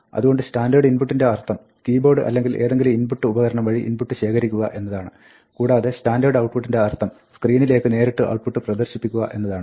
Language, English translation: Malayalam, So, standard input just means, take the input from the keyboard or any standard input device like that and standard output just means display the output directly on the screen